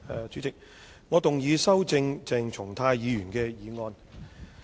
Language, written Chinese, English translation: Cantonese, 主席，我動議修正鄭松泰議員的議案。, President I move that Dr CHENG Chung - tais motion be amended